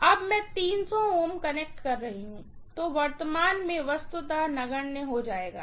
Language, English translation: Hindi, Now that I am connecting 300 ohms, the current will be negligible literally